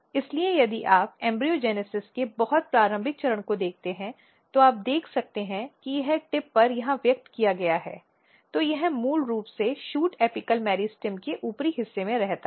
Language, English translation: Hindi, So, if you look at the very early stage of embryogenesis you can see that it is expressed here at the tip then it basically remains here at the upper side of the shoot apical meristem